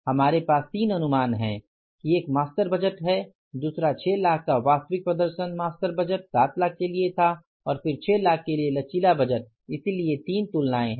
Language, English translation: Hindi, One is the master budget, another is the actual performance of 6 lakhs, master budget was for the 7 lakhs and then the flexible budget for 6 lakhs, so 3 comparisons